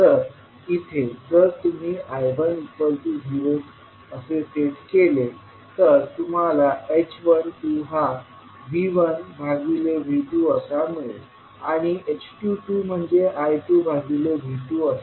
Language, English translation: Marathi, So, you will get rest of the two h parameters as h12 is equal to V1 upon V2 and h22 as I2 upon V2